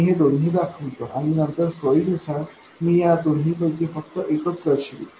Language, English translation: Marathi, Let me show both and later depending on convenience I will show only one or the other